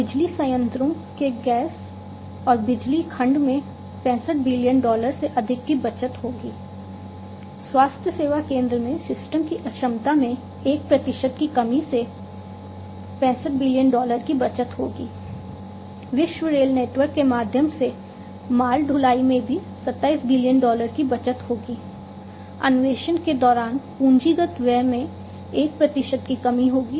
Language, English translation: Hindi, Gas and power segment of power plants will also save over 65 billion dollars 1 percent reduction in system inefficiency in healthcare center will save 63 billion dollar, freight transportation through world rail network will also save 27 billion dollar, one percent reduction in capital expenditure during exploration and development in oil and gas industries will save 90 billion dollar